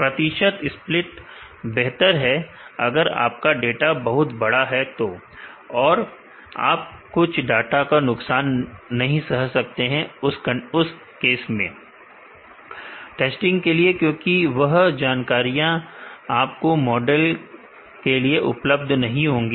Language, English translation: Hindi, Percentage split is better, if you have a large data and, you can afford to lose some of the data for testing because, those information would not be available for your model